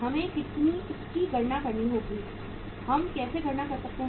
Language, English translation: Hindi, We have to calculate it, how we can calculate